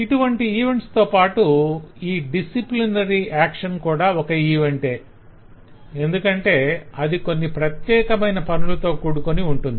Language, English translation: Telugu, so several these kinds of events, including disciplinary action, is an event because certain things specifically is done